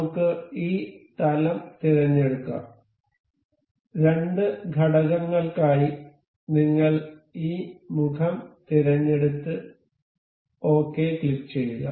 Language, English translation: Malayalam, Let us select this plane and for two elements, we will be selecting this face and say this face, just click it ok